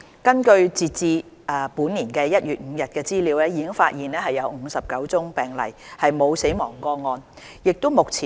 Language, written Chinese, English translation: Cantonese, 根據截至本年1月5日的資料，已發現59宗病例，沒有死亡個案。, According to the latest information available there was a total of 59 cases with no fatal cases